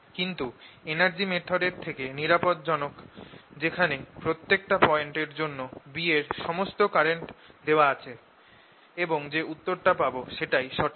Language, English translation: Bengali, but is safer to use than the energy method, where i have be at any point is given to all the currents and the answer you get is correct